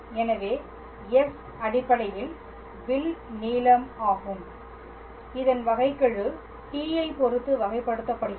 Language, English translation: Tamil, So, s dot is basically the arc length whose derivative is with respect to t